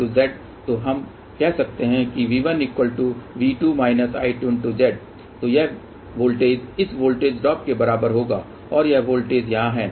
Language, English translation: Hindi, So, V 1 is nothing but we can say this voltage plus voltage drop over here